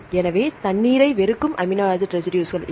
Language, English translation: Tamil, So, amino acid residues which hate the water right